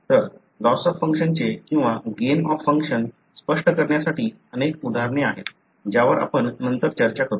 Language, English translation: Marathi, So, there are a number of examples for explaining the loss of function or gain of function some of which we will be discussing later